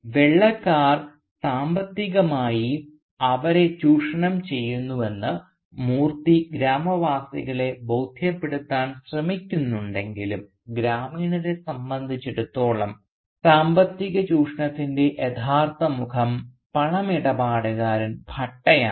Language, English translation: Malayalam, And though Moorthy tries to convince the villagers that the White man is exploiting them economically, for the villagers the more real face of economic exploitation is the Moneylender Bhatta for instance